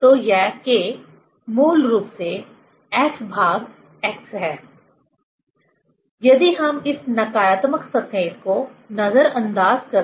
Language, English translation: Hindi, So, this K is basically F by x if we neglect this negative sign